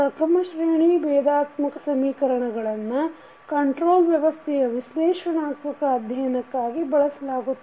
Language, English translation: Kannada, First order differential equations are used in analytical studies of the control system